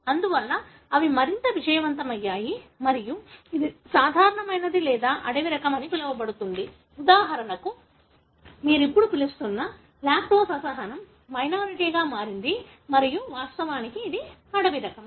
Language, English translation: Telugu, Therefore they are more successful and so on, then it becomes the normal or the so called the wild type, like for example the lactose intolerance what you call now has become a minority and, and in fact that was wild type to begin with